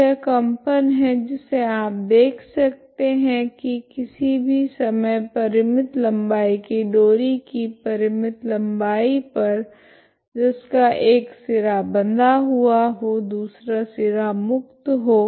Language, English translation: Hindi, So these are the vibrations you can see for all times for a finite length of string string of finite length that is one end is fixed, other end is left free